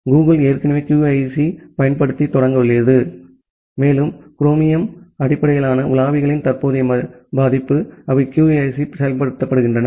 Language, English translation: Tamil, Google has already started a deployment of QUIC, and the current version of chromium based browsers, they have the implementation of QUIC